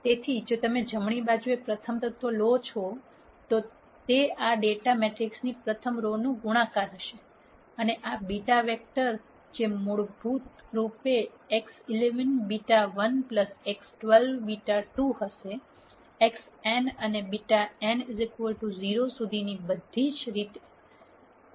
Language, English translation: Gujarati, So, if you take the rst element on the right hand side, that would be a product of the rst row of this data matrix and this beta vector which would basically be x 11 beta one plus x 12 beta 2; all the way up to x 1 and beta n equals 0